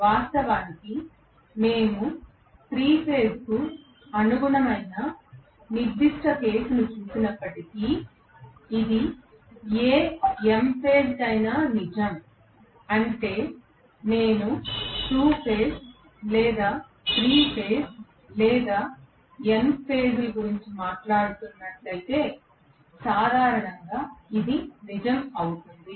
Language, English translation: Telugu, In fact, although we have looked at the specific case corresponding to 3 phase it is true for any m phase that is, if I am talking about 2 phase or 3 phase or n number of phases, generally it will be true